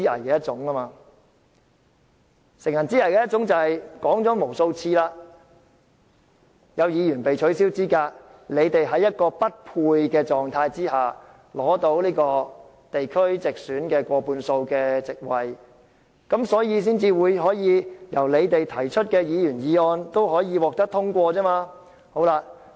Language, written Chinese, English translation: Cantonese, 我說過無數次，"乘人之危"是指在有議員被取消資格後，令建制派在功能界別地區直選議席中均佔過半數，因此所提出的議案均可獲通過。, As I have repeatedly said after a few Members had been disqualified from office pro - establishment Members have taken advantage of others difficulties because they account for more than 50 % of the Members returned by functional constituencies and geographical constituencies through direct elections . For this reason all the motions they moved will be passed